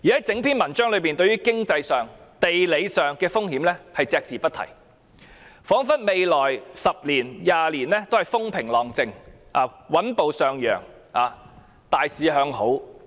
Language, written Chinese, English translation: Cantonese, 整篇文章對經濟和地理風險隻字不提，彷彿未來10年至20年都風平浪靜、穩步上揚、大市向好。, There is no mention of any economic and geographical risks in the document as if things would go smoothly with steady increases and a bullish market in the coming 10 to 20 years